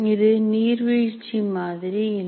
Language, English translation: Tamil, So this is certainly not a waterfall model